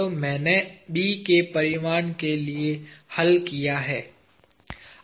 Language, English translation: Hindi, So, now I have solved for the magnitude of B